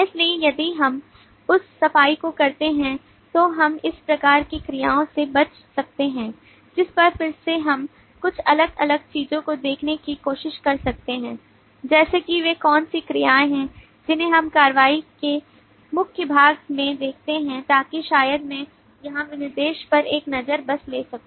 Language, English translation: Hindi, so if we do that clean up then we are left with these kinds of verbs on which again we can try to look into couple of different things like what are the verbs that we observe in very core part of the action so maybe i could take a look at the specification here